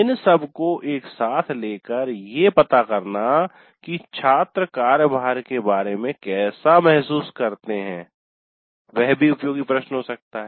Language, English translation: Hindi, So taken together how does the student feel about the workload that also can be a useful question